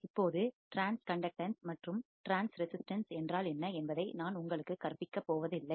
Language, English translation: Tamil, Now, I am not going to teach you what is transconductance and transresistance